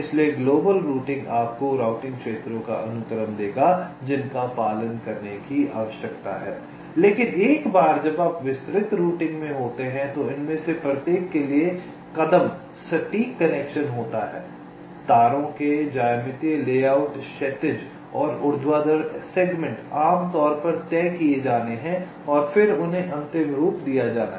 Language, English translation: Hindi, so global routing will give you the sequence of routing regions that need to be followed, but once you are in the detailed routing step, for each of these nets, the exact connection, the geometrical layouts of the wires, horizontal and vertical segments